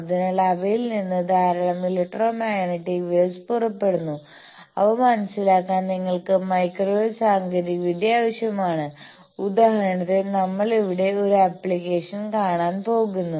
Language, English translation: Malayalam, So, there are lot of electromagnetic waves that come out from them and you require microwave technology to understand them like, for example, we see an application here